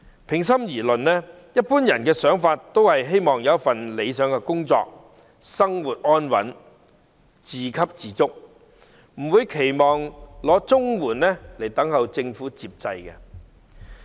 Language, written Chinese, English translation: Cantonese, 平心而論，一般人都想有理想工作，生活安穩，自給自足，不會期望領取綜援，靠政府接濟。, To be fair most people wishes to have an ideal job lead a stable life and be self - supporting . They do not expect to receive CSSA and rely on government dole